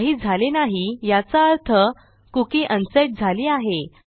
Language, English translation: Marathi, Nothing has happened presuming my cookie is unset